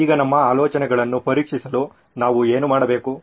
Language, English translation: Kannada, So now what do we need to test our ideas